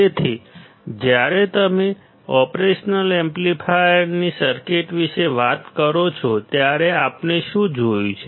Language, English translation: Gujarati, So, when you talk about operational amplifier circuits; what have we seen